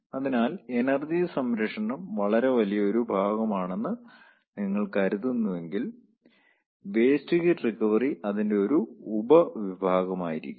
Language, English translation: Malayalam, so if you consider that energy conservation is a very big set, then waste recovery will be a sub set of it